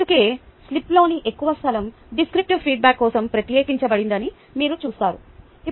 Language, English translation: Telugu, that is why you will see most of the space on the slip is reserved for descriptive feedback